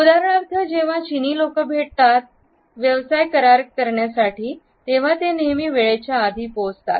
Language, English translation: Marathi, For instance when the Chinese people make an appointment for example a business deal they were always arrive early